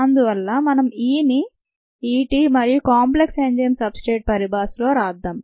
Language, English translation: Telugu, therefore, let us write e in terms of e t and the enzyme substrate complex